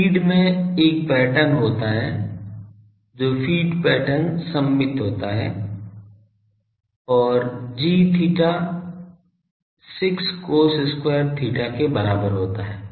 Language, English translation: Hindi, The feed is having a pattern which is feed pattern is symmetrical and given by g theta is equal to 6 cos square theta